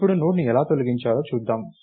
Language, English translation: Telugu, Now, lets look at how to delete a node